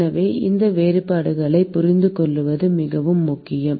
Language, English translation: Tamil, So, it is very important to understand these distinctions